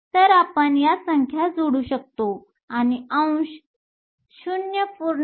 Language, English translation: Marathi, So, we can plug in these numbers and the fraction is 0